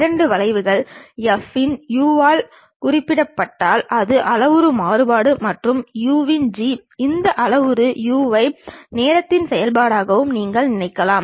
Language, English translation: Tamil, If two curves are denoted by F of u, a parametric variation and G of u; you can think of this parameter u as a function of time also